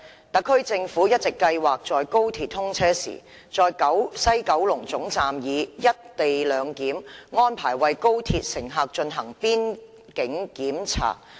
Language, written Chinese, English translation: Cantonese, 特區政府一直計劃在高鐵通車時，在西九龍總站以"一地兩檢"安排為高鐵乘客進行邊境檢查。, The Special Administrative Region SAR Government has all along been planning to conduct boundary checks for XRL passengers at the West Kowloon Terminus WKT under the arrangements for co - location of boundary control upon the commissioning of XRL